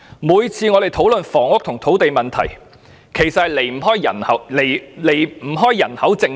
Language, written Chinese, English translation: Cantonese, 凡關乎房屋及土地問題的討論，皆離不開人口政策。, Any discussion on housing and land issues is inseparable from the population policy